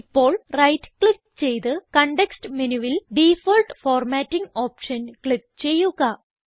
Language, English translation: Malayalam, Now right click and from the context menu, click on the Default Formatting option